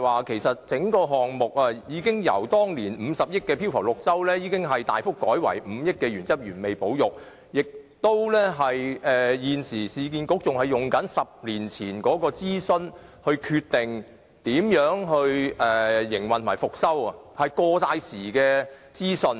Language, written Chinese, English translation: Cantonese, 其實，整個項目已由當年50億元的飄浮綠洲設計，大幅改為5億元的原汁原味保育方案，但市建局現時仍沿用10年前的諮詢結果來決定如何營運和復修中環街市，那些全都是過時的資訊。, The whole project has been substantially reduced from the 5 billion Central Oasis design to the 500 million down - to - earth conservation option . But URA is stilling using the consultation result 10 years ago to decide its way forward for the operation and restoration of the Central Market . That is all out - dated information